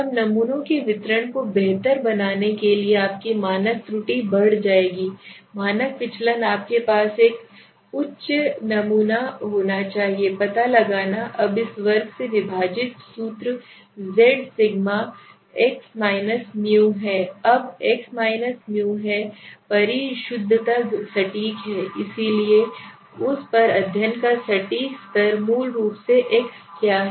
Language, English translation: Hindi, Then your standard error will increase so in order to improve the distribution of the samples standard deviation you should have a higher sample okay right now what is higher how do you find out now this is the formula z sigma square divided by now is simply the precision this is the precision right so what precision level of study on that is basically got the x right this is how you find out the lets go the slide